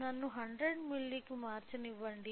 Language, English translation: Telugu, So, let me change it to 100 milli